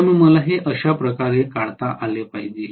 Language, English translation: Marathi, So I should be able to draw it like this, okay